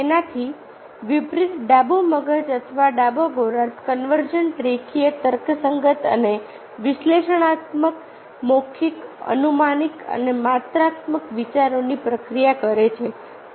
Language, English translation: Gujarati, contrarily, the left brain, or the left hemisphere, processes convergent, linear, rational and analytical, verbal, deductive and quantitative thought